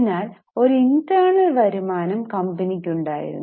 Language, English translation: Malayalam, So there was an internal internal income